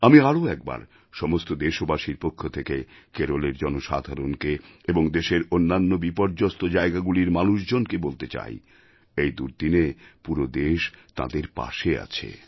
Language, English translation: Bengali, Once again on behalf of all Indians, I would like to re assure each & everyone in Kerala and other affected places that at this moment of calamity, the entire country stands by them